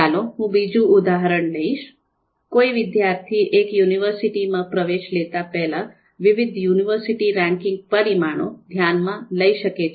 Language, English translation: Gujarati, Now, let’s take another example, third one: A student may need to consider various university ranking parameters before taking admission into a particular university